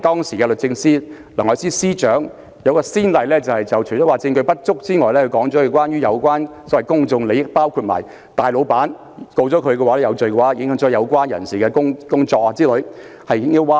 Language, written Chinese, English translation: Cantonese, 時任律政司司長梁愛詩除了指出證據不足之外，還指稱這關乎公眾利益，因大老闆胡仙一旦罪成，將影響很多人的工作，結果引來輿論譁然。, Apart from pointing out that there was insufficient evidence the then Secretary for Justice Elsie LEUNG also argued that the case involved an issue of public interest because the conviction of Sally AW a big boss would affect the jobs of many people . Such remarks have caused a huge public uproar in the media